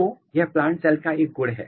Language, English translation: Hindi, So, this is a property of plant cell